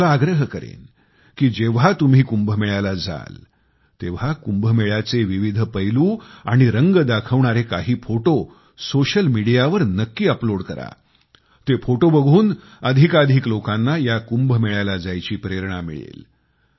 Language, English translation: Marathi, I urge all of you to share different aspects of Kumbh and photos on social media when you go to Kumbh so that more and more people feel inspired to go to Kumbh